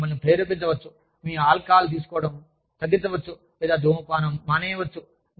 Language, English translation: Telugu, They could even motivate you, to decrease your alcohol intake, or motivate you, to stop smoking